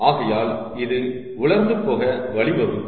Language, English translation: Tamil, so this will lead to dry out